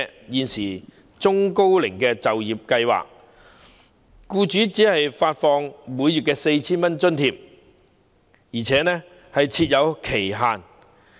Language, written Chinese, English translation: Cantonese, 現行中高齡就業計劃下，僱主只獲發每名僱員每月 4,000 元津貼，而且設有期限。, Under the existing Employment Programme for the Elderly and Middle - aged employers receive an allowance of only 4,000 monthly per employee for a limited period of time